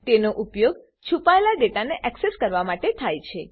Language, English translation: Gujarati, It is used to access the hidden data